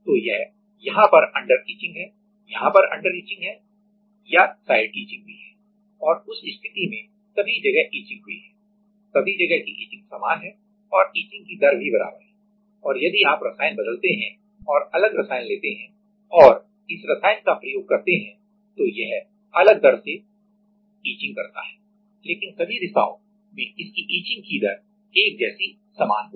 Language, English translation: Hindi, So, this is there is under etching or there is under etching or side etching also right and in that case all of the sides are etched; are etched equally with same rate and if you change the chemical if we if; we change the chemical and take different chemical then we can use it with some different rates, but in all the direction the etching rate will be similar will be same